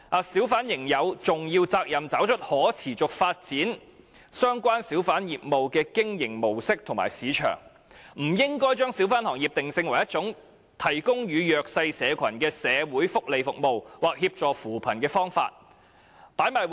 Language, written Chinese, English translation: Cantonese, 小販仍有重要責任找出可持續發展相關小販業務的經營模式及市場定位"；"不應把小販行業定性為一種提供予弱勢社群的社會福利服務，或協助扶貧的方法。, A hawker would still have the primary responsibility to identify a mode of operation and a market niche that can sustain the hawking business in question; and we should avoid positioning the hawker trade as a form of social welfare for the disadvantaged or for poverty alleviation